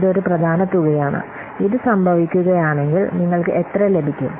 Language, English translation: Malayalam, And if this is happen and if this happens, then how much you will get